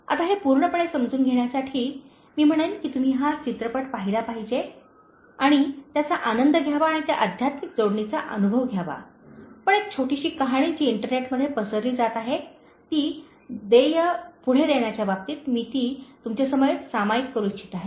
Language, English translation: Marathi, ” Now to understand it fully, I would say that, you should watch the movie and enjoy that and feel that spiritual connectivity, but a very small story that is getting circulated in internet, I would like to share it with you in terms of paying it forward